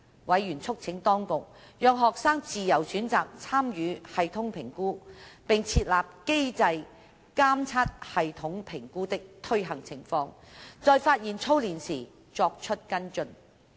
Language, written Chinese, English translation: Cantonese, 委員促請當局讓學生自由選擇參與系統評估，並設立機制監察系統評估的推行情況，在發現操練時作出跟進。, Members urged the Administration to give students the choice in regard to their participation or otherwise in P3 TSA establish a mechanism to monitor the implementation of P3 TSA and take follow - up actions if drilling persists